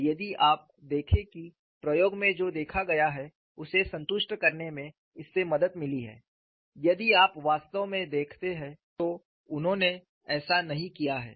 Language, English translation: Hindi, And if you look at whether it has helped in satisfying what is seen in the experiment, if you really look at, it has not done so